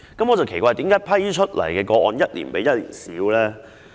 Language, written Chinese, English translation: Cantonese, 我奇怪為何獲批的個案一年比一年少。, I wonder why the number of applications approved has dropped year on year